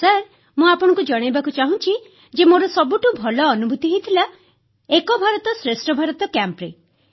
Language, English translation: Odia, Sir, I would like to share my best experience during an 'Ek Bharat Shreshth Bharat' Camp